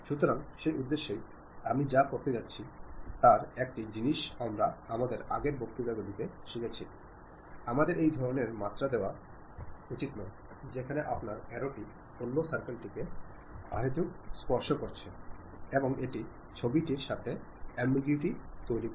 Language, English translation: Bengali, So, for that purpose, what I am going to do, one of the thing what we have learnt in our earlier lectures we should not give this kind of dimension, where your arrow is going to touch other circle and it unnecessarily create ambiguity with the picture